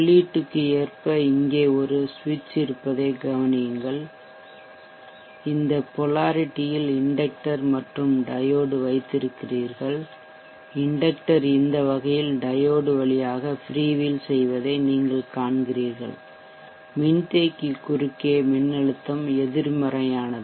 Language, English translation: Tamil, So this is the bug book converter observe that there is a switch here in line with the import , you have the inductor and the diode in this polarity you see that the inductor free wheel through the diode in the fashion, the voltage across the capacitor is negative